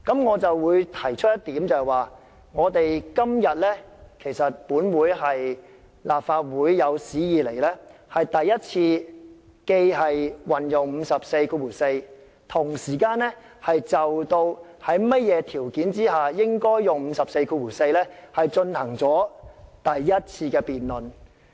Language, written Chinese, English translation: Cantonese, 我想提出的一點是，今天是立法會有史以來在引用《議事規則》第544條的同時亦就引用該條文應符合的條件進行的第一次辯論。, I would like to point out that the debate today is the first of its kind in history which deal with invoking RoP 544 and the conditions required for invoking it